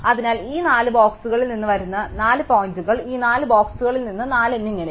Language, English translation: Malayalam, So, they would be possibly 4 points which come from these 4 boxes, 4 from these 4 boxes and so on